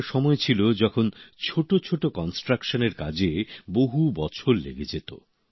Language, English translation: Bengali, There was a time when it would take years to complete even a minor construction